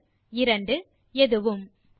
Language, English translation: Tamil, None One Two Any 1